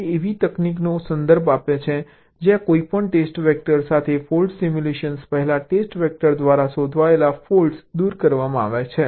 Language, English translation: Gujarati, ok, it refers to a technique where the faults detected by test vector are removed prior to the fault simulation with any subsequent vector